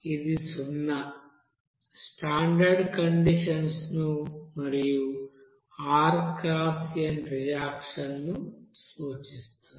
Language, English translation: Telugu, This zero means here that denotes standard conditions and rxn means reaction